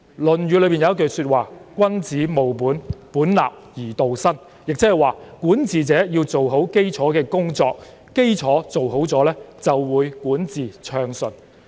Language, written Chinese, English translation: Cantonese, 《論語》有一句話是"君子務本，本立而道生"，即是管治者要做好基礎的工作，基礎做好了，就會管治暢順。, There is a maxim in the Analects of Confucius A gentleman nourishes the roots fundamentals and with the roots established the way grows . That is to say the ruling party should lay a good foundation for itself which will enable a smooth administration